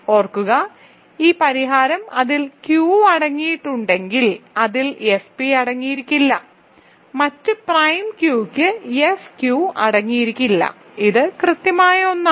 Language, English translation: Malayalam, And remember, it has to be exactly one of them as this solution shows if it contains Q it cannot contain F p if it contains F p, it cannot contain F q for some other prime Q ok, so it is exactly one